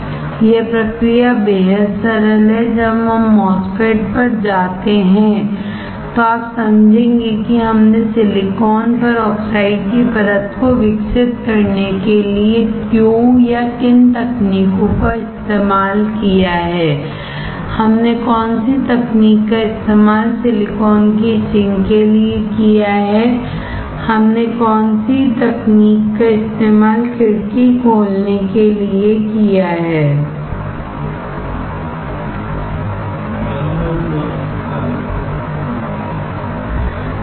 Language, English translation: Hindi, The process is extremely simple, when we go to the MOSFET then you will understand why or which techniques we have used to grow the oxide layer on silicon, which techniques we have used to etch the silicon, which techniques we have used to open the window, right